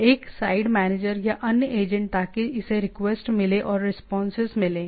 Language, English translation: Hindi, So one side manager or other agent so it get requests get response